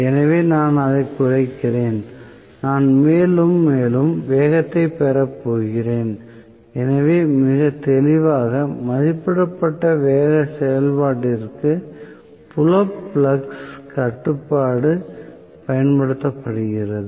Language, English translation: Tamil, So, I decrease it I am going to get more and more speed, so very clearly, field flux control is used for above rated speed operation